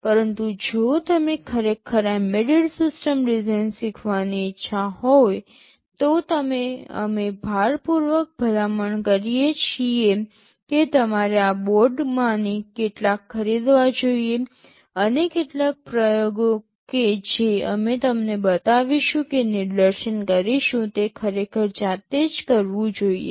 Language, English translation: Gujarati, But, if you are really interested to learn embedded system design in a hands on way we strongly recommend that you should procure some of these boards, and some of the experiments that we shall be showing or demonstrating you should actually do them yourself